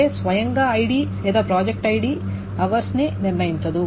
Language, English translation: Telugu, That means that neither ID by itself not project ID by itself determines ours